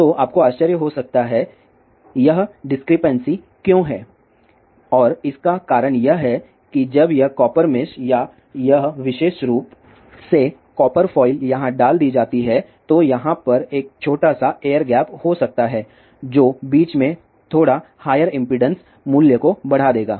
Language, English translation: Hindi, So, you might wonder; why this descript and see the reason for that is that when this copper mesh or this particular copper file is put here, there may be a small air gap over here in between which will give rise to a slightly higher impedance value